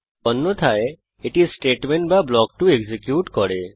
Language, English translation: Bengali, Else, it executes Statement or block 2